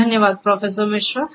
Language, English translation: Hindi, Thank you Professor Misra